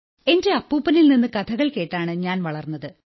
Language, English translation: Malayalam, Sir, I grew up listening to stories from my grandfather